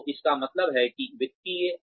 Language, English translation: Hindi, So, that means financial